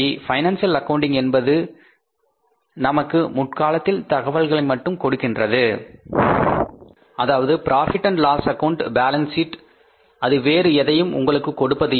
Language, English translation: Tamil, Financial accounting only provides the historical information that is the profit and loss account and balance sheet nothing else